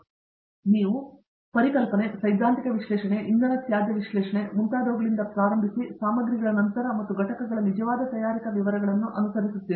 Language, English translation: Kannada, So, you start from conceptualization, theoretical analysis, energy waste analysis and so on, followed by materials and followed by actual manufacturing details of the components